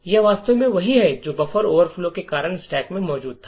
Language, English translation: Hindi, This is indeed what was present in the stack due to the buffer overflow